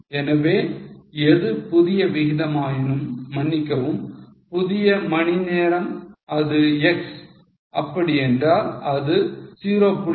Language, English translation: Tamil, So, whatever is new rate, sorry, new hours which is x, it will be 0